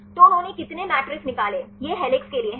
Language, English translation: Hindi, So, how many matrixes they derived; this is for helix